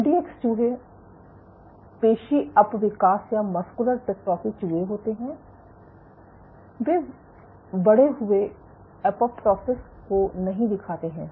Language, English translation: Hindi, MDX mice are muscular dystrophy mice, they do not exhibit this increased apoptosis